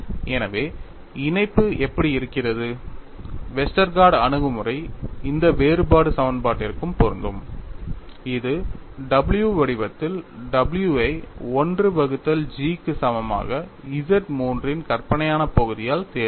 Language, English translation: Tamil, So, that is how the link is Westergaard approach is also applicable to this differential equation by choosing w in the form w equal to 1 by G imaginary part of Z 3